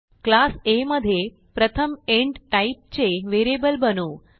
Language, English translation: Marathi, Now inside class A, I will first create a variable of type int